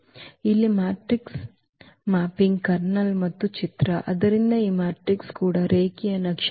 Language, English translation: Kannada, So, here the kernel and image of the matrix mapping; so, because this matrix are also linear maps